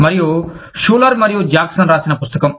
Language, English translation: Telugu, And, the book, by Schuler and Jackson